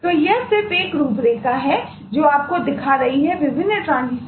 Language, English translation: Hindi, so this is just an outline showing you what are the different transitions that can happen